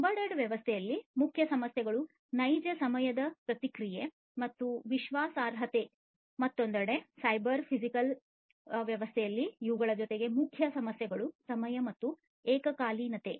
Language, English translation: Kannada, In an embedded system, the main issues are real time response and reliability, on the other hand in a cyber physical system in an addition to these the main issues are timing and concurrency